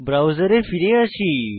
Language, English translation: Bengali, Let us come back to the browser